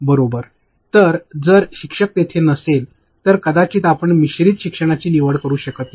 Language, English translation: Marathi, So, if your teacher is there, then maybe you cannot opt for blended learning